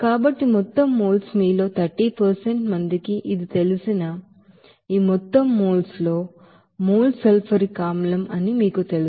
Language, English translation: Telugu, So total moles, out of this total moles that 30% of you know this, you know moles will be sulfuric acid